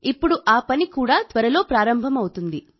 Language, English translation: Telugu, Now that work is also going to start soon